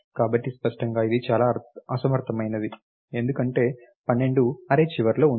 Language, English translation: Telugu, So, clearly this is very inefficient, because 12 is at the end of the array